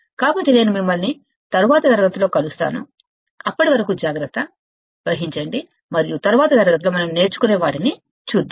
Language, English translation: Telugu, So, I will see you in the next class, and till then, take care, and let us see what we learn in the next class, alright